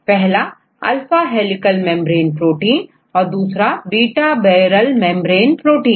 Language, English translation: Hindi, Here one is alpha helical membrane proteins and the other is beta barrel membrane proteins